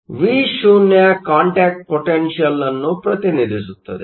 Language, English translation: Kannada, So, Vo represents the contact potential